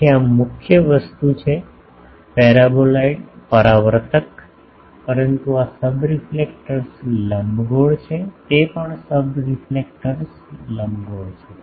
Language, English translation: Gujarati, So, this is the main thing is paraboloid reflector, but this is the subreflector ellipsoid this is also subreflector ellipsoid